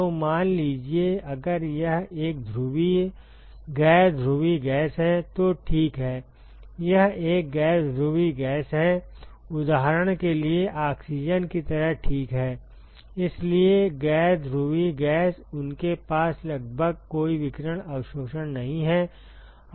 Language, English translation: Hindi, So, supposing, if it is a polar non polar gas ok; it is a non polar gas for example, like oxygen ok, so non polar gas, they have almost no radiation absorption